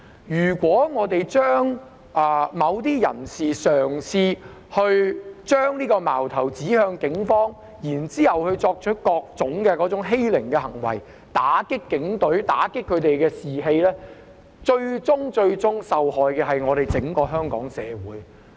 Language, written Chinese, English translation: Cantonese, 如果某些人嘗試將矛頭指向警方，然後作出各種欺凌行為，打擊警隊和警隊士氣，最終受害的是整個香港社會。, If some people try to target the Police then carry out all sorts of bullying to deal blows to the Police and undermine their morale ultimately Hong Kong society as a whole will suffer